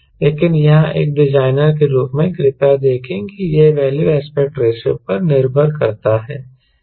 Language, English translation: Hindi, but here, as a designer, please see that this value depends upon aspect ratio